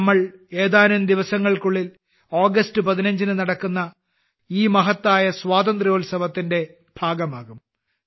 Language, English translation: Malayalam, In a few days we will be a part of this great festival of independence on the 15th of August